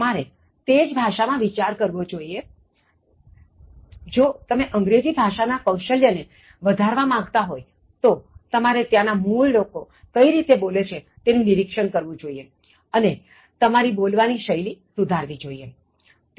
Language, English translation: Gujarati, You need to think in that language, if you want to speak English, if you want to correct your English Skills so you need to watch how these native speakers are speaking and then you need to correct your own speaking style